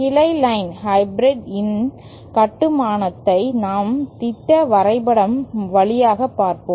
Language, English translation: Tamil, The construction of branch line hybrid is we just go via schematic diagram is like this